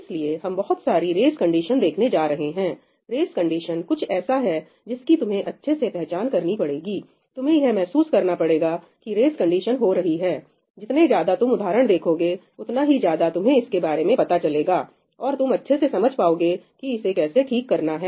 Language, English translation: Hindi, So, we are going to look at a lot of race conditions, race condition is something that you have to become familiar with, you have to realize how race conditions happen, right, the more examples you see the more aware you will become and you will be better equipped to fix it